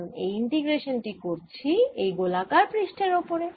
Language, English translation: Bengali, so this is because this a the integration over this spherical surface